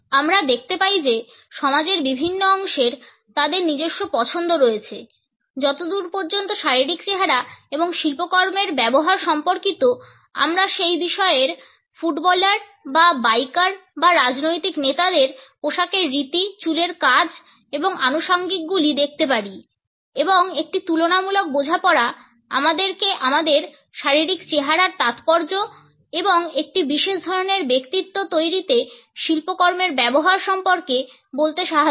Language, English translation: Bengali, We find that different segments of the society have their own preferences as far as physical appearance and the use of artifacts is concerned we can look at the dress code, the hair do and accessories of soccer players or bikers or political leaders for that matter and a comparative understanding can tell us about the significance of our physical appearance and the use of artifacts in creating a particular type of a personality